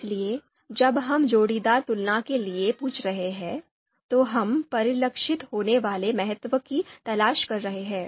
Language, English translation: Hindi, So when we are asking for pairwise comparisons, then it is actually we are looking for you know that you know importance to be reflected